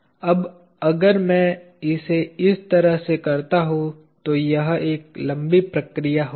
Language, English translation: Hindi, Now, if I do it this way it will be a long procedures